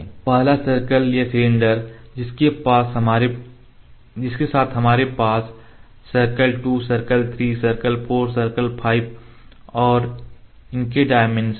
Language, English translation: Hindi, The first circle or the cylinder with that we have similarly the circle 2 circle 3 circle 4 circle 5 the dimension for that